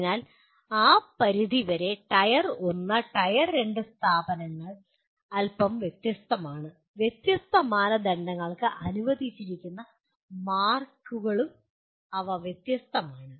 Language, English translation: Malayalam, So to that extent Tier 1 and Tier 2 institutions are somewhat different and to that extent the marks that are allocated to different criteria, they are different